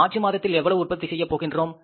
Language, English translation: Tamil, In the month of March, we will sell this much